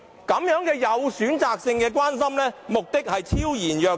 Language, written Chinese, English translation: Cantonese, 如此有選擇性的關心，目的昭然若揭。, With such selective care their aim is laid bare in front of our eyes